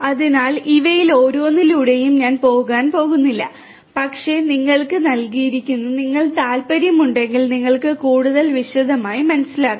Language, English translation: Malayalam, So, I am not going to go through each of these, but is given to you to you know if you are interested you can go through and understand in further detail